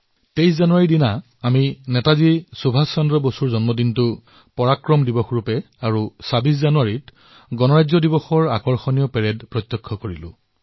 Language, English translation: Assamese, We celebrated the 23rd of January, the birth anniversary of Netaji Subhash Chandra Bose as PARAKRAM DIWAS and also watched the grand Republic Day Parade on the 26th of January